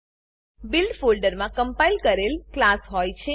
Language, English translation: Gujarati, The Build folder contains the compiled class